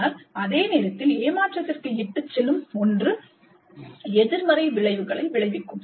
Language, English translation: Tamil, But at the same time, something which is going to lead to a frustration will be counterproductive